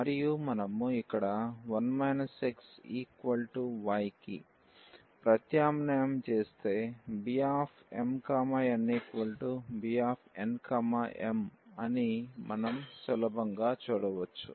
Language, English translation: Telugu, And, if we substitute here for 1 minus x is equal to y then we can easily see that the B m, n is equal to B n, m